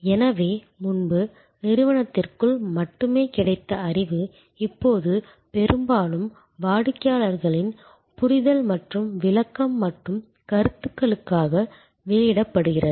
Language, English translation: Tamil, So, knowledge that was earlier only available within the organization is now often put out for understanding and interpretation and comments from the customer